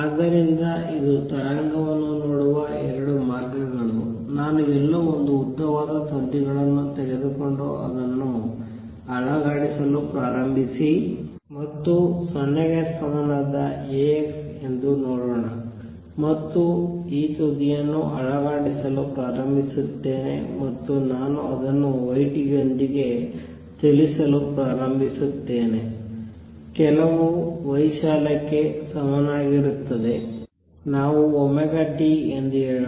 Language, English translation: Kannada, So, this is 2 ways of looking at the wave; suppose I take a long strings tide somewhere and start shaking this and let see this is A x equal to 0 and start shaking this end and I start moving it with y t equals some amplitude let us say sin omega t